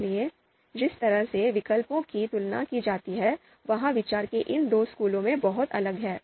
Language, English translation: Hindi, So, the way alternatives are compared that is very different in these two schools of thought